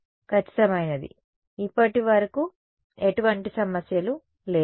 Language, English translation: Telugu, Exact right, so far no issues